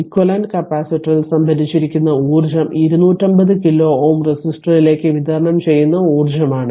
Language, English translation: Malayalam, The energy stored in the equivalent capacitor is the energy delivered to the 250 kilo ohm resistor